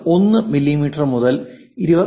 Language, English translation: Malayalam, 1 mm to 24